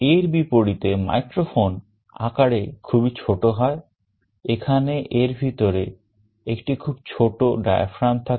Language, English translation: Bengali, In contrast microphones are very small in size; there is a very small diaphragm inside